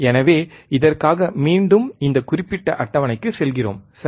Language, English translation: Tamil, So, for this again we go back to we go to the the this particular table, right